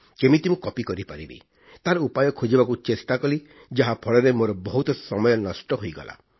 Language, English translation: Odia, I tried to explore and find out various methods of copying and wasted a lot of time because of that